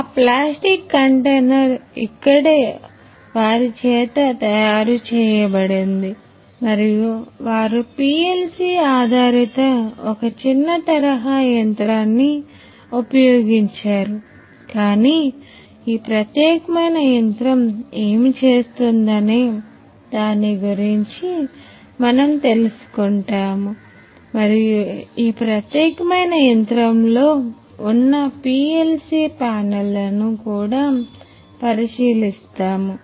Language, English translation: Telugu, So, that plastic container is made over here by them and so, they use PLC based machine, it is a small scale machine, but you know so, we will come know about what this particular machine does and we will also have a look at you know the PLC panel that is there in this particular machine